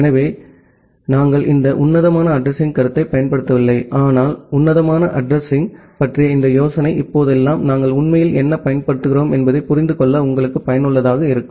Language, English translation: Tamil, So, although nowadays we do not use this classful addressing concept, but this idea of classful addressing is useful for you to understand that what we are actually using nowadays